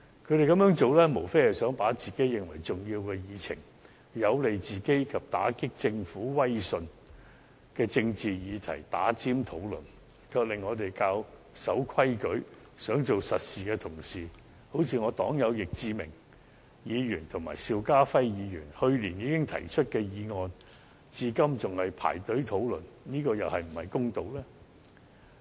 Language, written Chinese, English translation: Cantonese, 他們這樣做，無非是想把自己認為重要的議程、有利自己及打擊政府威信的政治議題插隊討論，卻令我們較守規矩、想做實事的同事，例如我黨友易志明議員及邵家輝議員去年已提出的議案，至今仍在輪候等待編上議程，這樣又是否公道呢？, Their only purpose is to jump the queue to first discuss issues that they consider important that are beneficial to them and at the same time that deal a blow to the Governments credibility . As a result law - abiding colleagues who want to do real work like my fellow party members Mr Frankie YICK and Mr SHIU Ka - fai are still waiting to have their motions proposed last year to be placed on the agenda